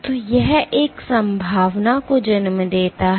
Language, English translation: Hindi, So, this raises a possibility